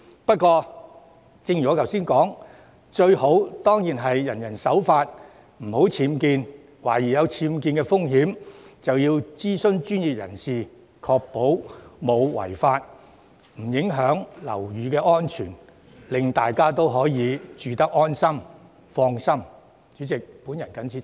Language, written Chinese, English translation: Cantonese, 不過，正如我剛才所說，最好是人人守法，不作僭建，並在懷疑有僭建風險時諮詢專業人士，確保沒有違法和不會影響樓宇安全，令大家可以安心居住。, Yet as I just said it would be best for everyone to be law - abiding stop constructing UBWs consult professionals about the legality of suspected UBWs and ensure that such suspected UBWs will not undermine building safety to create a safe living environment